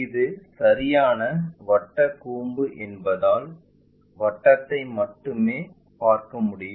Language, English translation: Tamil, It is the right circular cone that is also one of the reason we will see only circle